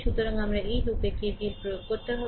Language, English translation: Bengali, So, I have to apply your K V L in this loop